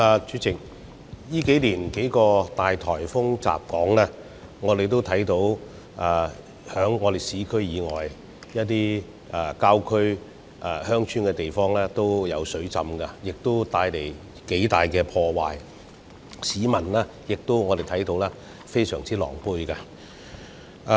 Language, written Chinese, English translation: Cantonese, 主席，近年數個巨大颱風襲港，我們也看到市區以外的一些郊區和鄉村地方出現水浸，亦造成頗大的破壞，市民也非常狼狽。, President during the several mega typhoons hitting Hong Kong in recent years we saw flooding in some parts of the countryside and rural villages beyond the urban area causing quite considerable damages and a lot of troubles to the residents